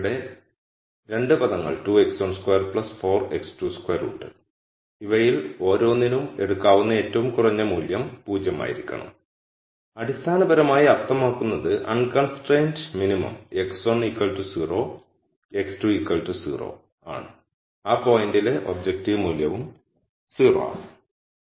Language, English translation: Malayalam, So, there are 2 terms here 2 x 1 squared plus 4 x 2 squared and the lowest value that each one of these could take has to be 0 and that basically means the unconstrained minimum is at x 1 equal to 0 x 2 equal to 0 the objective value at that point is also 0